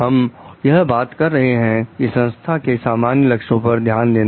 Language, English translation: Hindi, And we are talking of paying like the interest attention to the common goal of the organization